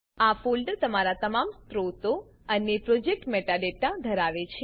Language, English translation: Gujarati, This folder contains all of your sources and project metadata